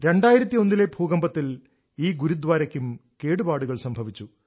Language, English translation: Malayalam, During the 2001 earthquake this Gurudwara too faced damage